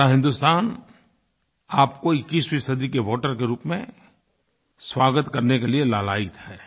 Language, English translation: Hindi, The entire nation is eager to welcome you as voters of the 21st century